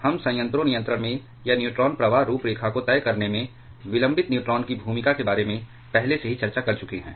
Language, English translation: Hindi, We have already discussed about the role of prompt and delayed neutrons played in reactor control or on deciding the neutron flux profile